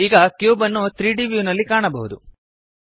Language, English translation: Kannada, Now the cube can be seen in the 3D view